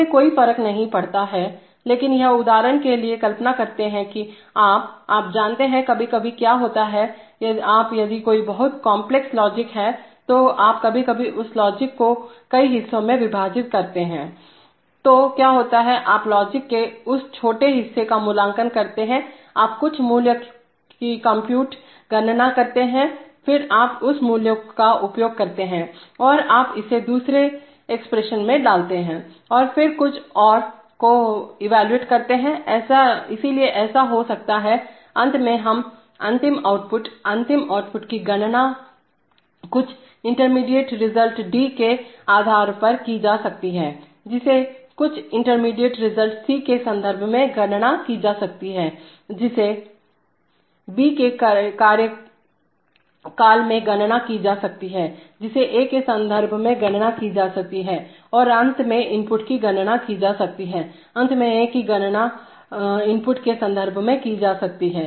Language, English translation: Hindi, It makes no difference but it does, for example imagine that you are, you know, sometimes what happens is that, you, if there is a very complex logic then you sometimes break up that logic into several parts, so what happens is that initially you evaluate one some small part of the logic, you compute some value, then you use that value and you put it in another expression and then evaluate something else, so it may happen that, finally we want to compute the final output, the final output can be computed based on some intermediate result D, which can be computed in terms of some intermediate result C, which can be computed in term of B, which can be computed in terms of A and finally the input, finally A can be computed in terms of the input